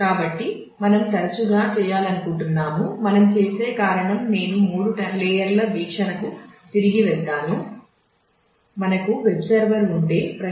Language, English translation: Telugu, So, we would often might want to do that the reason we do that I will just take to back to the three layer view